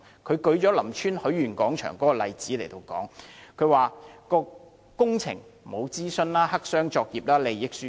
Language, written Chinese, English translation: Cantonese, 他舉出林村許願廣場的例子，指該工程並無進行諮詢，黑箱作業，涉及利益輸送。, He cited the Lam Tsuen Wishing Square as an example and claimed that no consultation had been conducted for the project which was a black - box operation involving transfer of benefits